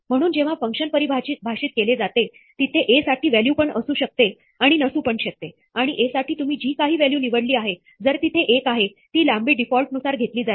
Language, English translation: Marathi, So, when the function is defined, there will be, or may not be a value for A and whatever value you have chosen for A, if there is one, that length will be taken as a default